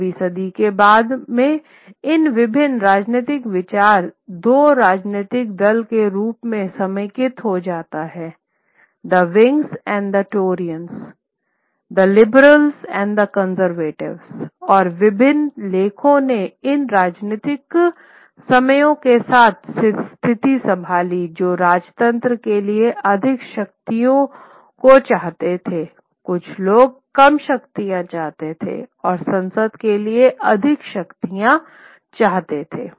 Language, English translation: Hindi, Later in the 17th century century you will slowly these various political opinions get consolidated into form of two political parties the Whigs and the Tories the liberals and the and the and the conservators and various and writers took positions along these political lines those who wanted more powers for the monarchy, those who wanted lesser power, more powers for the parliament